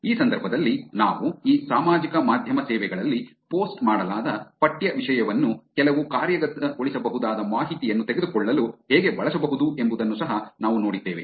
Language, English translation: Kannada, In this context we also saw that how we can use the text content that is posted on these social media services to take some actionable information